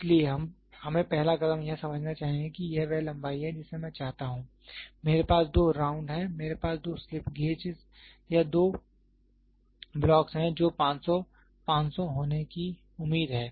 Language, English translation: Hindi, So, we first step is we should understand this is the length I want, I have two wrung, I have two slip gauges or two blocks which is expected to be 500, 500